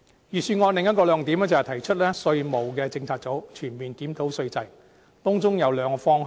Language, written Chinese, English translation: Cantonese, 預算案的另一個亮點，是提出成立稅務政策組，全面檢討稅制，當中有兩個方向。, Another highlight of the Budget is the proposal to set up a tax policy unit to comprehensively examine our tax regime and there are two perspectives